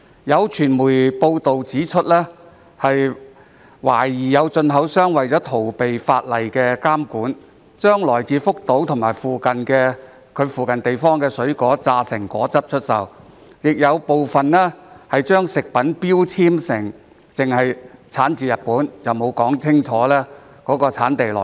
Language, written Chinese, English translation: Cantonese, 有傳媒報道指出，懷疑有進口商為了逃避法例監管，將來自福島及其附近地方的水果榨成果汁出售，亦有部分進口商在食品標籤只註明產自日本，沒有說清楚產地來源。, According to certain media reports some importers were suspected to have evaded the regulation of the law by selling juice expressed from the fruits coming from Fukushima and its neighbouring areas and some importers only marked on the food labels that the products came from Japan without clearly stating the origin of the products